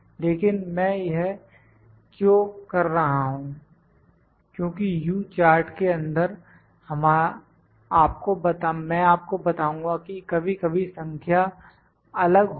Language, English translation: Hindi, But why I am doing it because in the U chart I will tell you that sometimes the number is different